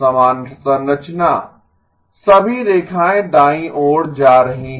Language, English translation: Hindi, The same structure, all lines moving to the right